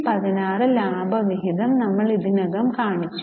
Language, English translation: Malayalam, We have already shown the dividend which is 216